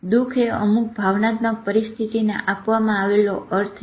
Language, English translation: Gujarati, Sad is a meaning given to a certain emotional state